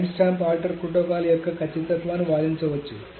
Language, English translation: Telugu, So the correctness of the timestamp ordering protocol can be argued